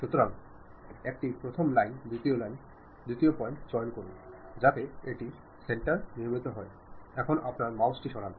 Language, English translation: Bengali, So, pick first line, second line, second point, so it construct on the center, now move your mouse